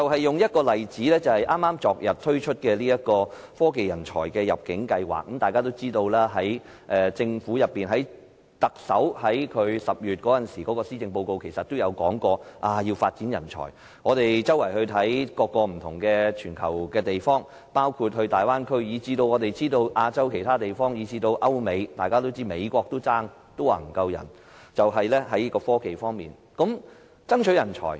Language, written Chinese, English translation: Cantonese, 舉例來說，昨天推出的科技人才入境計劃，大家也知道，特首於10月發表的施政報告提到要發展人才，我環顧全球各地，包括大灣區，以至亞洲其他地方和歐美，都在爭奪科技人才，說沒有足夠人才。, The Technology Talent Admission Scheme rolled out yesterday is one example . As we all know the policy address announced by the Chief Executive in October puts forward the idea of nurturing talents . I can see that places all over the world including the Guangdong - Hong Kong - Macao Bay Area and other places in Asia Europe and America are all competing for talents